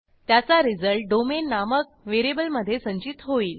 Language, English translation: Marathi, I assign the result to a variable named domain